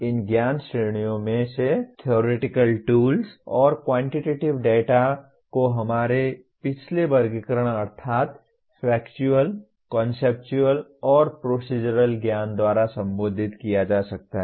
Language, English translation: Hindi, Of these knowledge categories, the theoretical tools and quantitative data can be considered addressed by our previous categorization namely Factual, Conceptual, and Procedural knowledge